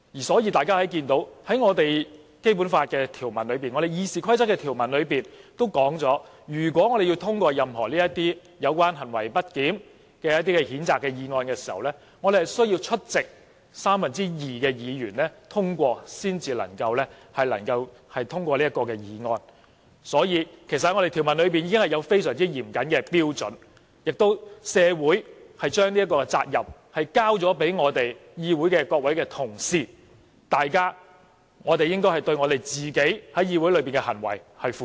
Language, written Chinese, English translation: Cantonese, 所以，我們看到《基本法》、《議事規則》的條文都指出，如果我們要通過任何有關行為不檢的譴責議案，需要獲得出席議員的三分之二通過，所以，條文已有非常嚴謹的標準，社會也把這個責任交給各位議會同事，我們應該對自己在議會裏的行為負責。, Therefore as we can see in the provisions of the Basic Law and the Rules of Procedure that for any censure motion against misbehavior to be passed a vote of two thirds of the members present is required . Accordingly the provisions have prescribed very stringent standards . Society also assigns such a duty to all Honourable colleagues in the Council